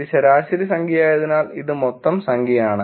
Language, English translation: Malayalam, This is total number where as this is average number